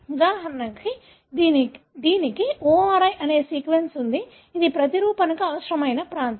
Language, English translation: Telugu, For example, it has sequence called ORI which is the region that is required for the replication